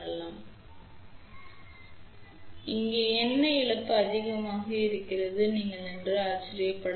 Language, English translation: Tamil, Now, you might wonder why there is a more loss over here